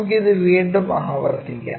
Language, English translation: Malayalam, Let us repeat it once again